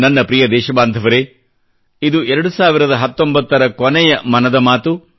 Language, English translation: Kannada, My dear countrymen, this is the final episode of "Man ki Baat" in 2019